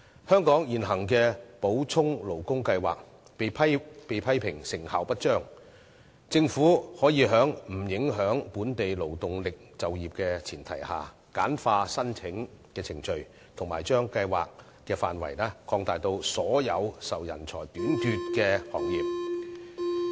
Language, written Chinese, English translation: Cantonese, 香港現行的補充勞工計劃被批評成效不彰，政府可以在不影響本地勞動力就業的前提下，簡化申請程序，把計劃範圍擴大至涵蓋所有受人才短缺影響的行業。, Given that the existing Supplementary Labour Scheme is criticized for being ineffective the Government may streamline the application procedure and extend the scope to cover all industries affected by manpower shortages on the premise of not affecting the employment of the local labour force